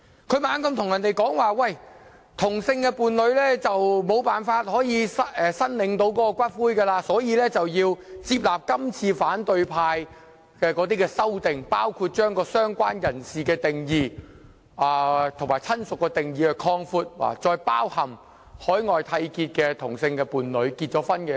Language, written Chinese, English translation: Cantonese, 他不斷對大家說同性伴侶無法申領骨灰，所以要接納今次反對派提出的修正案，包括擴闊"相關人士"和"親屬"的定義，使之涵蓋在海外締結婚姻的同性伴侶。, He kept telling us that as same - sex partners are unable to claim ashes we had to accept the amendments proposed by the opposition camp this time around including expanding the definitions of related person and relative to cover same - sex partners in marriages contracted overseas